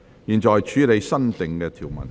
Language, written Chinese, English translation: Cantonese, 現在處理新訂條文。, The committee now deals with the new clause